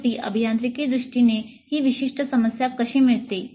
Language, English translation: Marathi, And finally, how does it get a specific problem in engineering terms